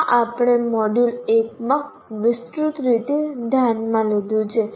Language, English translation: Gujarati, This we have we have looked extensively in module 1